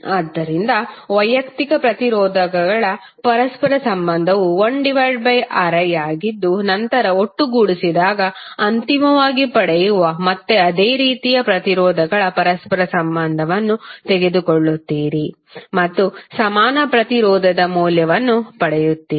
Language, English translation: Kannada, So reciprocal of individual resistances is 1 upon Ri and then you will sum up and whatever you will get finally you will take again the reciprocal of same and you will get the value of equivalent resistance